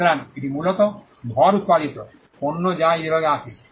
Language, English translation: Bengali, So, this is largely mass produced, goods which come under this category